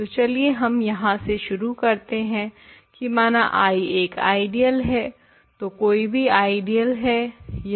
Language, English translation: Hindi, So, let us start with that let I be an ideal so, an arbitrary ideal